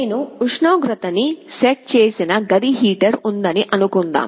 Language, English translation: Telugu, Suppose I have a room heater where I have set a required temperature